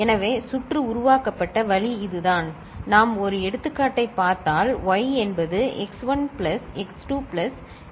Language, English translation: Tamil, So, this is the way the circuit is developed and if we look at an example, so y is x1 plus x2 plus say, x7, right